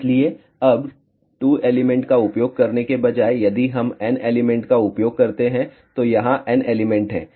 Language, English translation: Hindi, So, now instead of using 2 elements, if we use N elements so, here are N elements